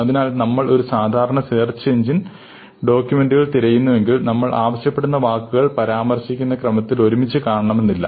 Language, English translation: Malayalam, So, if you actually search for a document in a typical search engine, you will often find that the words that you ask for may not occur together, may not occur in the sequence that you mention